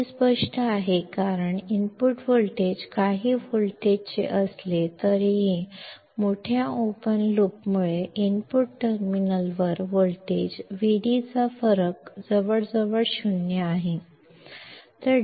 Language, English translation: Marathi, This is obvious because even if the input voltage is of few volts; due to large open loop gain the difference of voltage Vd at the input terminals is almost 0